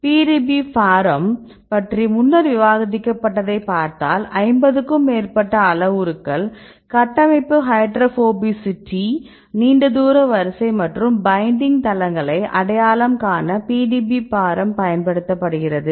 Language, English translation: Tamil, So, now I will see earlier discussed about the PDBparam, it contains more than 50 structure, based parameters we utilize the PDBparam to get the surrounding hydrophobicity long range order right and different other structure based parameters